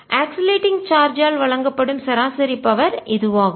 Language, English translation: Tamil, this is the average power that is given out by oscillating charge